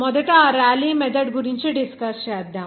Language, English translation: Telugu, Let’s discuss about that Rayleigh's method first